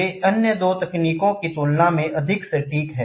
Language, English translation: Hindi, They possess greater accuracy compared to the other two techniques